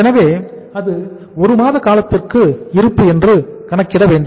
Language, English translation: Tamil, So we will have to calculate it as a stock for 1 month